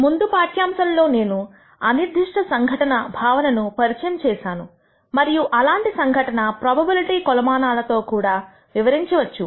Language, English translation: Telugu, In the previous lecture I introduced the concept of Random Phenomena and how such phenomena can be described using probability measures